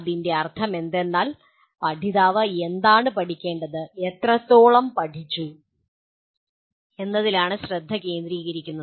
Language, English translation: Malayalam, What it means is, the focus is on what the learner should learn and to what extent he has learnt